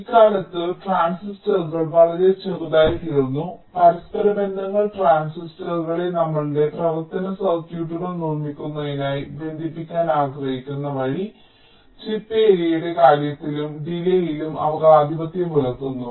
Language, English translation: Malayalam, nowadays, the transistors have become very small and the interconnections the way we want to connect the transistors to build our functional circuits they tend to dominate in terms of the chip area and also in terms of the delay